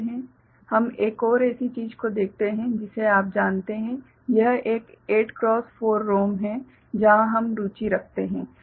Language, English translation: Hindi, We look at another such you know, thing where this is a 8 cross 4 ROM that we are interested in ok